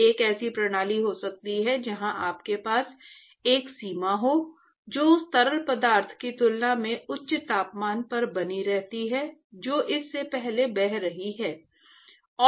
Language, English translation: Hindi, So, there could be a system where you have a boundary which is maintained at a higher temperature than the fluid which is flowing past it